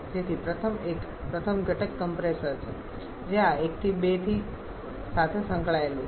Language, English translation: Gujarati, So, first one first component is compressor which is associated with this 1 to 2